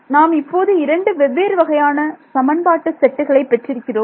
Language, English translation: Tamil, So now, here is it seems like I have two different sets of equations